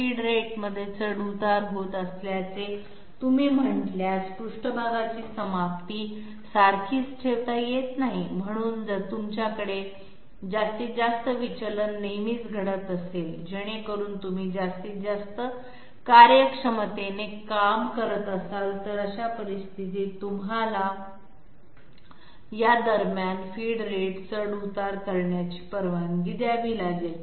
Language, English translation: Marathi, If you say feed rate fluctuation occurs, surface finish cannot be maintained to be the same therefore, if you have to have maximum deviation always occurring so that you are working with maximum efficiency, in that case you have to allow for feed rate fluctuation between these and your surface finish would be non uniform okay